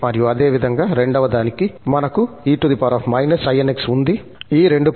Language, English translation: Telugu, And similarly, for the second one, so, we have e power inx, e power inx is present at these two places